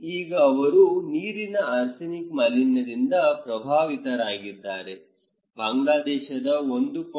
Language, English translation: Kannada, Now, this is they are affected by water arsenic contaminations, 1